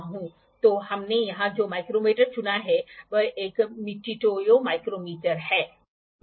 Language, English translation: Hindi, So, micrometer that we have selected here is a Mitutoyo micrometer